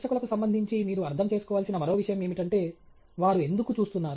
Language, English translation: Telugu, The other thing that you need to understand with respect to the audience is why are they watching